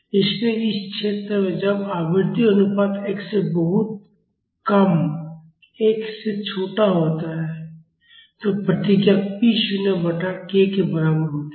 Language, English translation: Hindi, So, in this region that is when the frequency ratio is smaller than 1 much smaller than 1, the response is equal to p naught by k